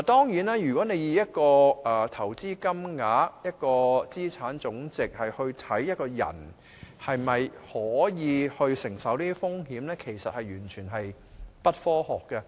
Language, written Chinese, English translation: Cantonese, 如果你以投資金額、資產總值來衡量一個人能否承受這些風險，其實完全不科學。, In fact it is not at all scientific to assess a persons risk tolerance on the basis of his investment amount or aggregate asset value